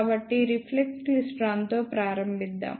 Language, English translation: Telugu, So, let us begin with reflex klystron